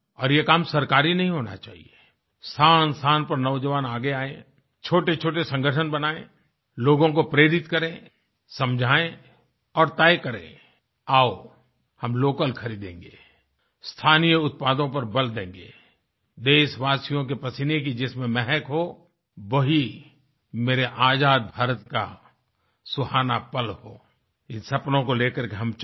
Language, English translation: Hindi, And this work should not be carried out by government, instead of this young people should step forward at various places, form small organizations, motivate people, explain and decide "Come, we will buy only local, products, emphasize on local products, carrying the fragrance of the sweat of our countrymen That will be the exultant moment of my free India; let these be the dreams with which we proceed